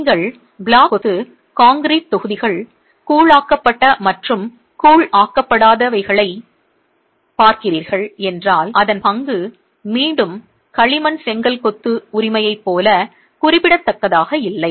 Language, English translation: Tamil, If you are looking at block masonry, concrete blocks, grouted and ungrouted, the role is again not as significant as in clay brick masonry